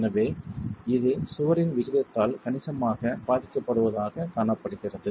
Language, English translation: Tamil, So, this is observed to be affected significantly by the aspect ratio of the wall